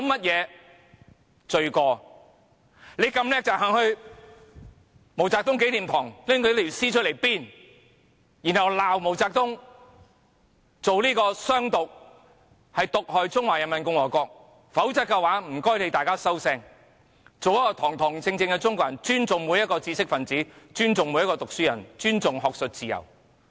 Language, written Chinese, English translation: Cantonese, 如果你們這麼厲害，便應到毛澤東紀念堂把他的屍體搬出來鞭，然後罵毛澤東主張"湘獨"，毒害中華人民共和國，否則便請你們"收聲"，做一個堂堂正正的中國人，尊重每一個知識分子、尊重每一個讀書人、尊重學術自由。, If you people are so awesome you should go to the MAO Zedong Memorial Hall and pull out his corpse for flogging . Then you should reprimand MAO Zedong for advocating the independence of Hunan and hence poisoning the Peoples Republic of China . Otherwise please shut up and be virtuous dignified Chinese people showing respect to every intellectual to every scholar and to academic freedom